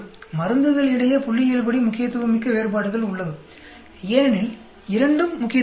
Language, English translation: Tamil, There is a statistically significant difference between the drugs because both are significant